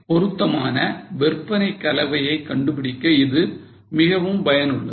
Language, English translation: Tamil, Now this is useful for finding suitable sales mix